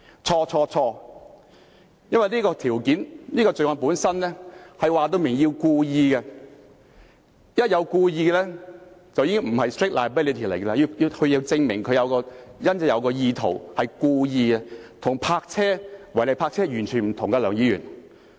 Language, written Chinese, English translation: Cantonese, 錯、錯、錯，因為這項罪行本身清楚表明必須是故意的，一旦是故意的便已經不是 strict liability， 而是要證明他有意圖和是故意的，這跟違例泊車完全不同，梁議員。, He is terribly wrong because the offence itself clearly implies that the act must be deliberate so once it is deliberate it is not strict liability . Unlike illegal parking it must be proved that the offence in question is committed intentionally and deliberately Mr LEUNG